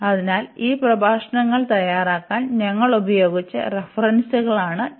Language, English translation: Malayalam, So, these are the references we have used to prepare these lectures